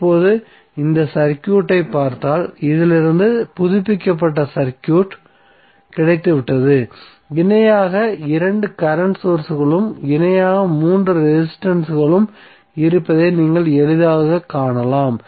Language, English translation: Tamil, So now, you have got updated circuit from this if you see this circuit you can easily see that there are two current sources in parallel and three resistances in parallel